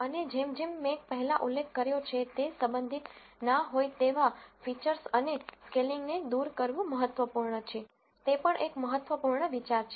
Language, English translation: Gujarati, And as I mentioned before it is important to remove irrelevant features and scaling is also an important idea